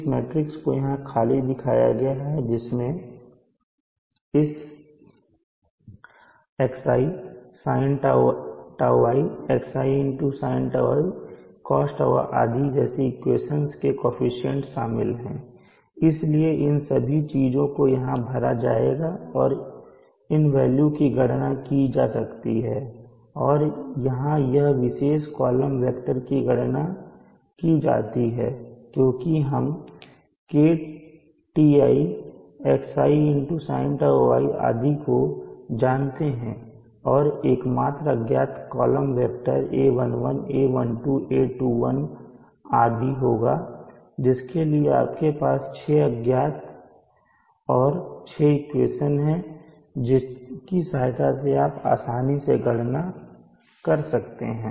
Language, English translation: Hindi, Which is shown blank contains the coefficient of theses equations like xi,sini,xsini,d,cosi so on all these things will get populated here and these values can be calculated and here this particular column vector can be calculated because we know KTI,xi,sini,and the only set of unknown will be this column vector a11,a21,a22,a31,a32 and you have six unknowns